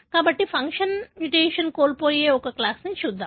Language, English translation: Telugu, So, let us look into one class that is loss of function mutation